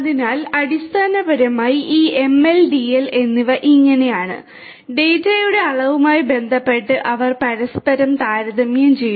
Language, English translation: Malayalam, So, so this is basically how you know these ML and DL; they compared with one another with respect to the volume of data